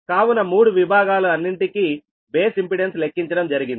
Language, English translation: Telugu, so all the three sections ah, base impedance are computed right now